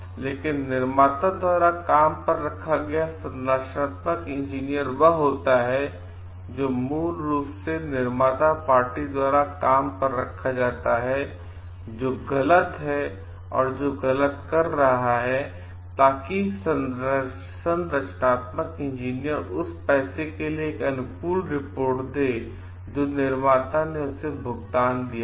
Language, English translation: Hindi, But in the hired structural engineer is one who is being hired by the party who is originally doing wrong or who is at fall so that the engineer gives a favorable report for the manufacturer for the money that was paid to him